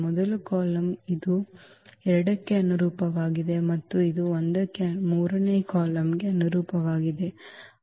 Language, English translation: Kannada, The first column this is also corresponding to 2 and this corresponds to 1 the third column